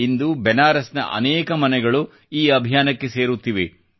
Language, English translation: Kannada, Today many homes inBenaras are joining this campaign